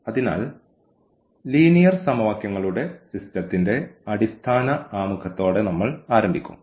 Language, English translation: Malayalam, So, we will start with a very basic Introduction to the System of Linear Equations